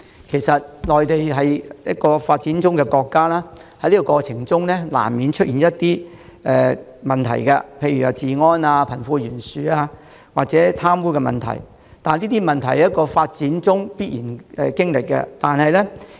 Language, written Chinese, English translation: Cantonese, 其實內地是一個發展中國家，在發展過程中，難免出現一些問題，例如治安、貧富懸殊及貪污問題，這是發展過程中必然經歷的情況。, Actually as a developing country the Mainland will naturally experience a situation where certain problemssuch as law and order problems wealth disparity and corruption inevitably arise in the course of its development